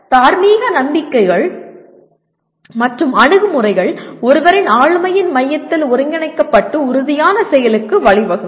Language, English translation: Tamil, And moral beliefs and attitudes are integrated into the core of one’s personality and lead to committed action